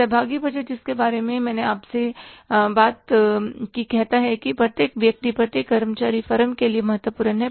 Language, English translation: Hindi, Participative budgeting, I just, I talk to you that every person, every employee is important for the firm